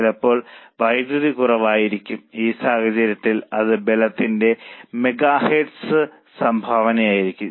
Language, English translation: Malayalam, Sometimes power is in short supply, in which case it will be contribution per megahertz of power